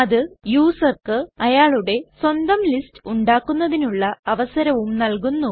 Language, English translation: Malayalam, It also enables the user to create his own lists